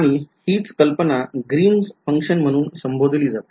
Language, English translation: Marathi, Same idea is being called by a different name is called Green’s function